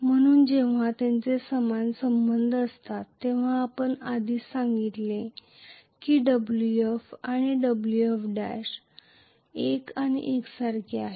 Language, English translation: Marathi, So when they are linearly related we said already that Wf and Wf dash are one and the same